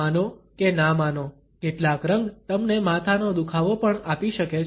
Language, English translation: Gujarati, Believe it or not some colors can even give you a headache